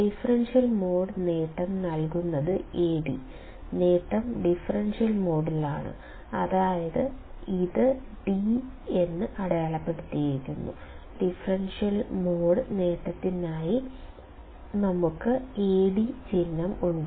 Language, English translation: Malayalam, Differential mode gain is given by Ad; the gain is in differential mode, that is why it is d; then we have the symbol Ad for differential mode gain